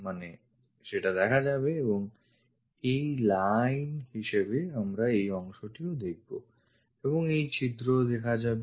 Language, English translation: Bengali, So, that will be visible and this portion as a line this portion as a line we will see that and this holes clearly visible